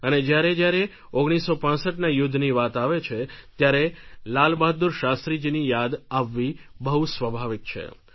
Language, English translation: Gujarati, And whenever we talk of the 65 war it is natural that we remember Lal Bahadur Shastri